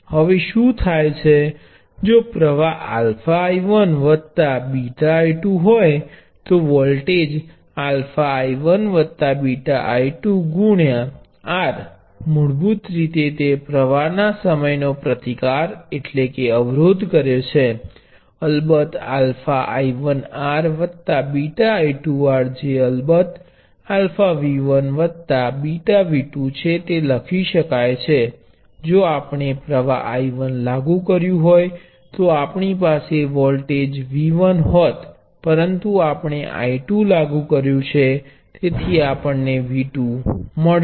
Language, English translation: Gujarati, which of course, can be written as alpha times I 1 r plus beta times I 2 R which of course is alpha times V 1 plus beta times V 2 that is if we applied a current I 1 we would could have voltage V 1, we applied I 2, we would got V 2